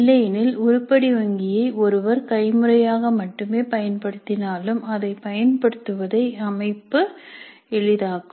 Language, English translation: Tamil, Even otherwise the organization would make it easy to use the item bank even if one were using it only manually